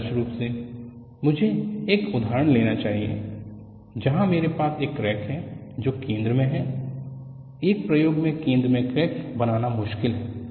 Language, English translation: Hindi, Ideally,I should have taken example where I have a crack, which is at the center; center of the crack is difficult to make in an experiment